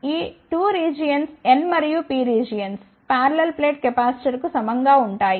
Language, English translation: Telugu, These 2 regions and N and P regions will be analogous to the parallel plate capacitors